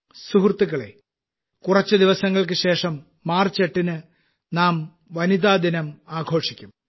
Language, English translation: Malayalam, Friends, just after a few days on the 8th of March, we will celebrate 'Women's Day'